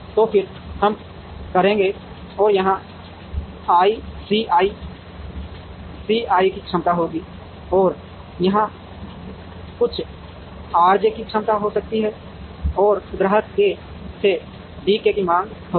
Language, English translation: Hindi, So, then we would and there will be a capacity of C i here and there could be a capacity of some R j here and there will be a demand of D k from customer k